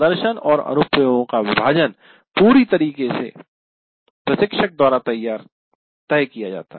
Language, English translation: Hindi, And how you want to divide this division of demonstration and application is completely decided by the instructor